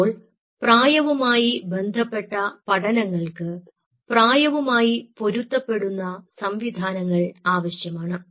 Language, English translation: Malayalam, so for age related systems you needed something which is age related, matching systems